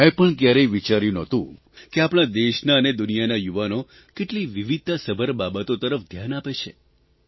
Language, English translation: Gujarati, I had never thought that the youth of our country and the world pay attention to diverse things